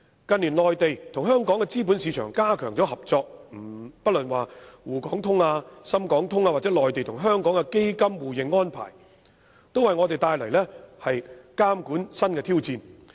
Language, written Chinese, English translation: Cantonese, 近年，內地與香港資本市場加強合作，不論滬港通、深港通或內地與香港的基金互認安排，都為我們帶來新的監管挑戰。, In recent years the cooperation between the capital markets in the Mainland and Hong Kong has strengthened . The Sh - HK Stock Connect the Sz - HK Stock Connect and also the mutual recognition of funds between the Mainland and Hong Kong have presented new regulatory challenges to us